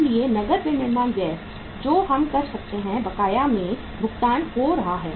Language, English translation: Hindi, So cash manufacturing expenses which we can pay in arrears